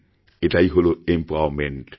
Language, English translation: Bengali, This is empowerment